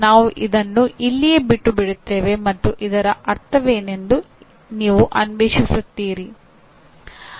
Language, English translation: Kannada, We will just leave it at that and you explore what exactly this would mean